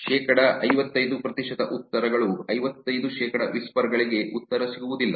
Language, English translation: Kannada, 55 percent of the replies, 55 percent of the whispers don't get a reply